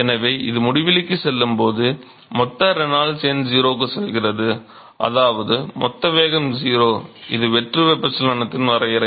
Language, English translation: Tamil, So, this when it goes to infinity simply means that the bulk Reynolds number goes to 0 which means that the bulk velocity is 0, which is the definition of free convection